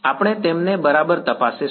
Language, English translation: Gujarati, We will check them exactly right